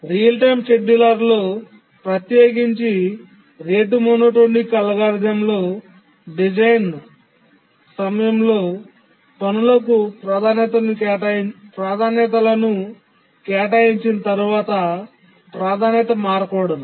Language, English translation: Telugu, We have seen that the real time scheduler, especially the rate monotonic algorithm, there once we assign priorities to the tasks during design time, the priority should not change